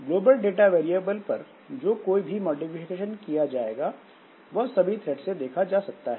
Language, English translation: Hindi, So, any modification done to the global data variables, so they are seen by all the threads